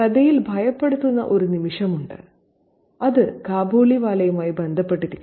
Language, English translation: Malayalam, Okay, there is a frightening moment in the story and that is associated with the Kabaliwala